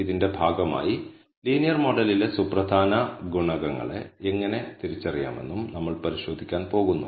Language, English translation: Malayalam, As a part of this, we are also going to look at how to identifying, significant coefficients in the linear model